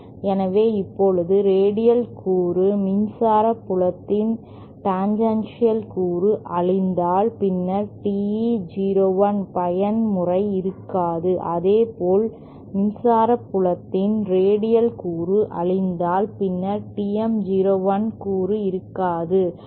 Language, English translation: Tamil, So, now it can be shown that if the radial component the tangential component of the electric field is nullified, then the TE 01 mode will cease to exist and similarly if the radial component of the electric field is nullified, then TM 01 component will cease to exist